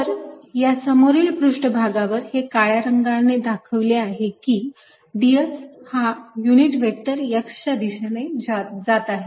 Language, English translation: Marathi, so on the front surface shown by black, the d s is going to be in the direction of x unit vector